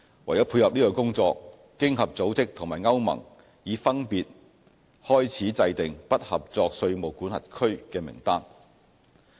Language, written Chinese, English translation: Cantonese, 為配合這工作，經合組織和歐盟已分別開始制訂"不合作稅務管轄區"名單。, In support of the work OECD and the European Union EU have kicked off their respective exercises to draw up lists of non - cooperative tax jurisdictions